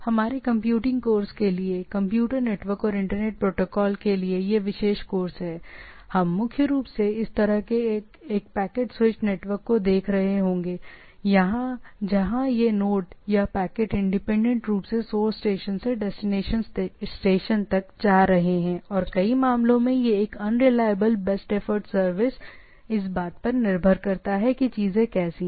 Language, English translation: Hindi, So for our computing this particular course for computer network and internet protocols; we will be primarily looking at this sort of a packet switched network, right where this nodes or the packets are independently moving from the source to destination and in number of cases this is a unreliable, best effort service, it depends on how things are there